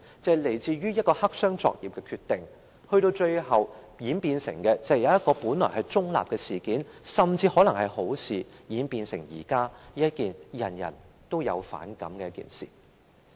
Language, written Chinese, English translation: Cantonese, 便是來自一個黑箱作業的決定，致令一件本來是中立甚至可能是好的事情，現在卻演變成人人都反感的一件事。, It came from a decision made in black box operation . Consequently something which was originally neutral or which might even be desirable has now turned out to be something disliked by everyone